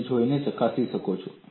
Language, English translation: Gujarati, This you can go and verify